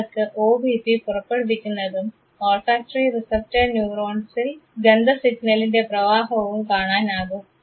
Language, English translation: Malayalam, You can see the OBP released and the conduction of odour signal in the olfactory receptor neurons